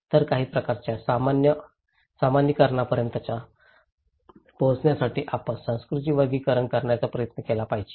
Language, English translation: Marathi, So, in order to reach to some kind of generalizations, we should try to make categorizations of culture, okay